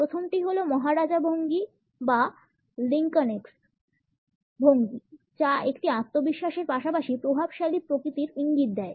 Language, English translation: Bengali, The first is the maharaja posture or the Lincolnesque posture which suggest a confidence as well as a dominant nature